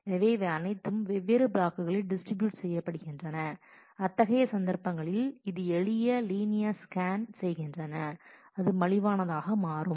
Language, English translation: Tamil, So, they may be all distributed across different blocks and in such cases it may turn out that actually is doing a simple linear scan may turn out to be cheaper